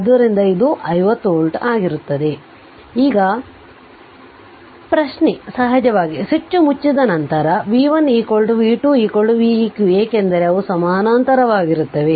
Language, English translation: Kannada, So, it will be 50 volt right Now, question is of course, after the switch is closed v 1 is equal to v 2 is equal to v eq because they are in parallel